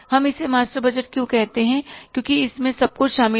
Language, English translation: Hindi, Why we call it is a master budget